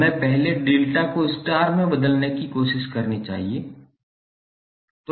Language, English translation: Hindi, We have to first try to convert delta into star